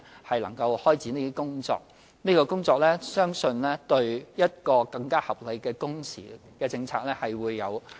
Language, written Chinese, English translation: Cantonese, 我們正開展這項工作，相信有助訂定一項更合理的工時政策。, We are carrying out this task which I believe will be conducive to formulating a more reasonable policy on working hours